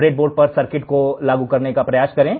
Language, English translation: Hindi, Try to implement the circuit on the breadboard